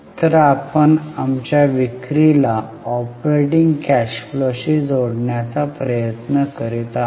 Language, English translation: Marathi, So, we are trying to link our sales to operating cash flow